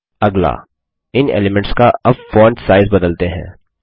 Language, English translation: Hindi, Next, let us change the font sizes of these elements now